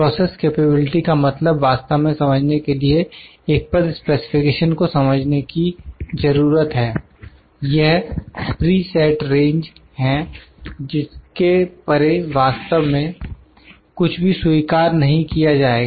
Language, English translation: Hindi, To understand what exactly process capability means the term specification needs to be understand, it is the preset range beyond which it would not be accepted actually